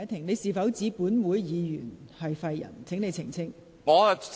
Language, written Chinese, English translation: Cantonese, 你是否指本會議員是廢人，請你澄清。, Please clarify whether you are saying that certain Members in this Council are useless